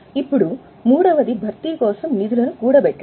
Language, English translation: Telugu, Now, the third one is to accumulate the funds for replacement